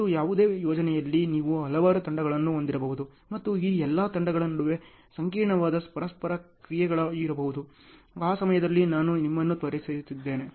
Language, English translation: Kannada, And in any project you may have so many teams and there may be complex interactions between all these teams, that I have introduced you at that time